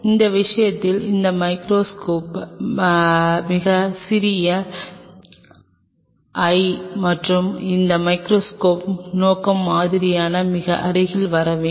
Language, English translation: Tamil, This l this micro microscope in this case if it is a very small l and this microscope objective has to come very close to the sample